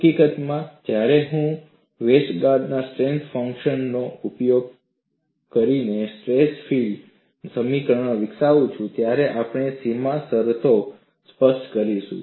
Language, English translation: Gujarati, In fact, when I develop the stress field equations using Westergaard’s stress function, we would specify boundary conditions